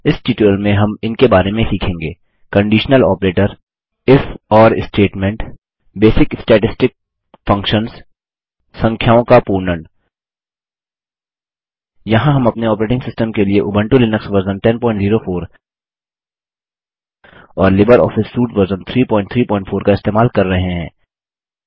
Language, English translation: Hindi, In this tutorial we will learn about: Conditional Operator If..Or statement Basic statistic functions Rounding off numbers Here we are using Ubuntu Linux version 10.04 as our operating system and LibreOffice Suite version 3.3.4